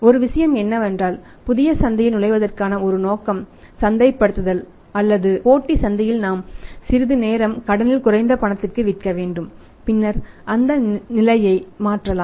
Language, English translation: Tamil, One thing is as a marketing motive to break into the new market or the competitive market we have to sell some time more on credit less on cash and the position can be replaced later on